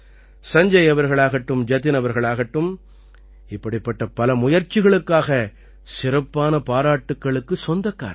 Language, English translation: Tamil, Be it Sanjay ji or Jatin ji, I especially appreciate them for their myriad such efforts